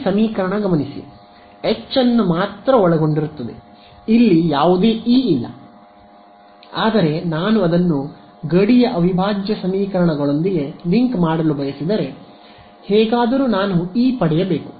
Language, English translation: Kannada, Notice that this equation is consisting only of H there is no E over there ok, but if I want to link it with the boundary integral equations somehow I should also get E over there